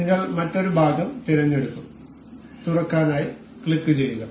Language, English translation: Malayalam, We will select another part, we will click open